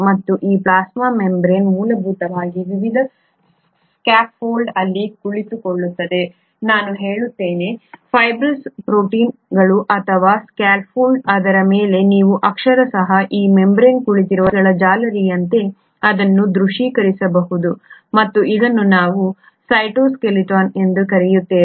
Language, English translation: Kannada, And this plasma membrane essentially sits on a scaffold of various, I would say, fibrous proteins or scaffold its you can literally visualize it like a meshwork of wires on which this membrane is sitting, and this forms what we call as the cytoskeleton